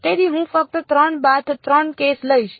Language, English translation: Gujarati, So, I will just take a 3 by 3 case